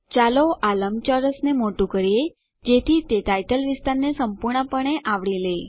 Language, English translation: Gujarati, Lets enlarge this rectangle so that it covers the title area completely